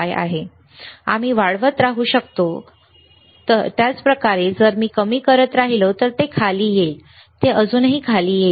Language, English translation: Marathi, We can keep on increasing, you can keep on increasing, same way if I keep on decreasing, it will come down, it will come down, it will still come down, right same way